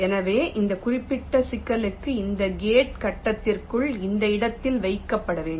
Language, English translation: Tamil, so for this particular problem, this gate has to be placed in this location within the grid